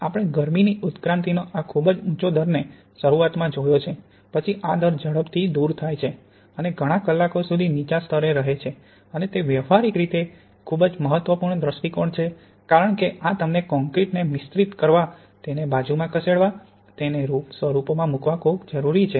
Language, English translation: Gujarati, We see at the beginning we have this very high rate of heat evolution, then this falls away quickly and remains at a low level for several hours and that’s very important for a practical point of view because this gives you the time to mix your concrete, to move it to the side and to put it in the forms